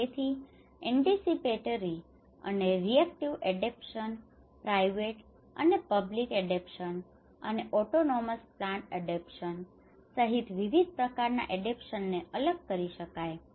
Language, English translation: Gujarati, So, various types of adaptation can be distinguished including anticipatory and reactive adaptation, private and public adaptation and autonomous planned adaptation